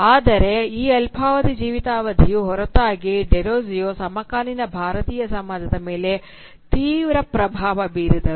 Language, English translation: Kannada, But in spite of this very short lifespan, Derozio had a profound impact on the contemporary Indian society